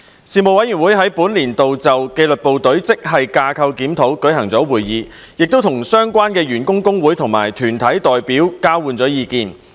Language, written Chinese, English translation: Cantonese, 事務委員會在本年度就紀律部隊職系架構檢討舉行會議，與相關員工工會及團體代表交換意見。, In this year the Panel held a meeting on the grade structure review of the disciplined services and exchanged views with representatives of the staff unions and associations concerned